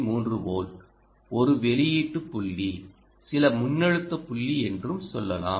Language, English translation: Tamil, and let us say that this is some three point, three volt, some output point, some voltage point now